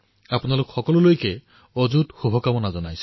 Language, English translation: Assamese, My best wishes to you all